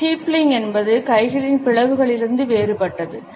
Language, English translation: Tamil, Steepling is different from the clench of hands